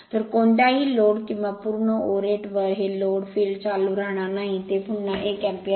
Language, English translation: Marathi, So, at no load or full or at this load field current will remain same, again it is 1 ampere